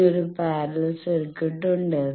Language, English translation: Malayalam, Then there is a parallel circuit